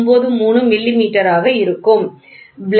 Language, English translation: Tamil, 1493 millimeters, ok